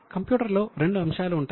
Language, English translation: Telugu, There are two things in computer